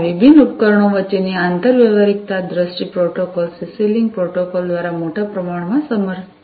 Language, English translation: Gujarati, So, this interoperability between these different devices is supported to a large extent by this particular protocol, the CC link protocol